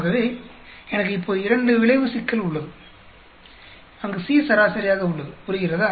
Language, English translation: Tamil, So, I have now a two effect problem, where C is averaged out, understand